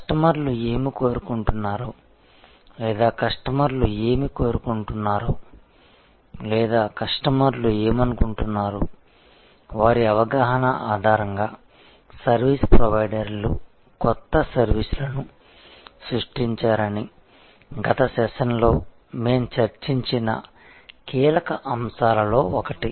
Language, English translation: Telugu, The key, one of the key points that we discussed in the last session was that new services earlier were created by service providers on the basis of their perception of what the customers wanted or what the customers would like or what the customers were feeling the need for